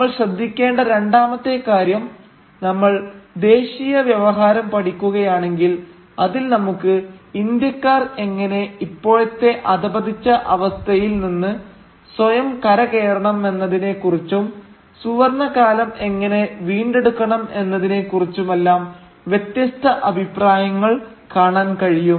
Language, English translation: Malayalam, The second thing that we should note is that if we study the nationalist discourse we can find in it diverging opinions about how Indians should recover themselves from the degenerate state that they are apparently in the present and how they should regain the golden age